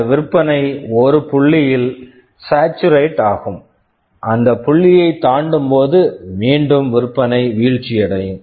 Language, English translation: Tamil, And there will be a point where this sale will saturate and beyond that point again this sale will start dropping down